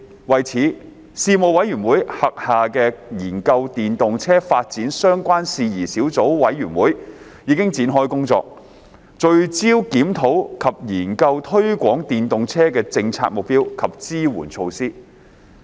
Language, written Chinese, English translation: Cantonese, 為此，事務委員會轄下的研究電動車發展相關事宜小組委員會已展開工作，聚焦檢討及研究推廣電動車的政策目標及支援措施。, In this connection the Subcommittee to Study Issues Relating to the Development of Electric Vehicles formed under the Panel has commenced work to review and study in a focused manner the policy objectives and support measures to promote the use of EVs